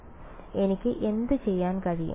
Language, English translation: Malayalam, So, what can I do